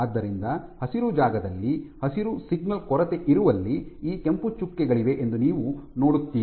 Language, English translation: Kannada, So, where the green space is lacking the green signal is lacking you see that there are these red dots